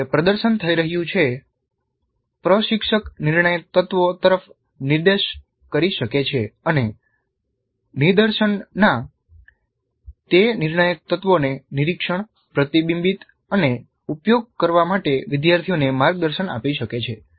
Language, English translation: Gujarati, So while demonstration is in happening, instructor can point out to the critical elements and guide the learners into observing, reflecting on and using those critical points, critical elements of the demonstration